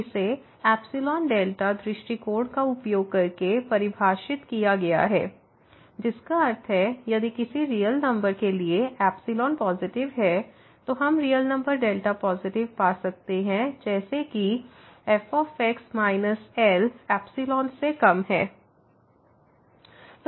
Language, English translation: Hindi, It was defined using this epsilon delta approach that means, if for a given real number epsilon positive, we can find a real number delta positive such that minus less than epsilon